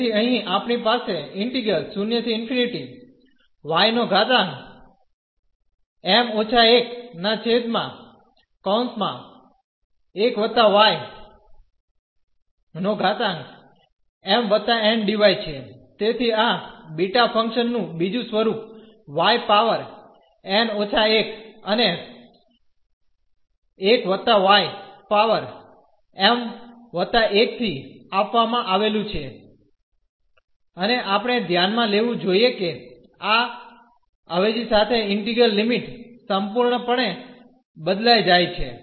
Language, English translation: Gujarati, So, this is another form of the beta function given here y power n minus 1 and 1 plus y power m plus 1 and we should note that with this substitution the integral limits change completely